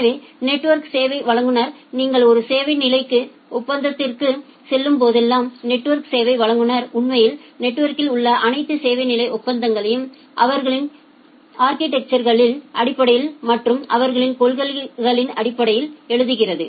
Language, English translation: Tamil, So, the network service provider so, whenever you are going for a service level agreement the network service provider actually writes down all those service level agreement in the network based on this their policies based on their their architecture and so on